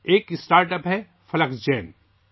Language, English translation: Urdu, There is a StartUp Fluxgen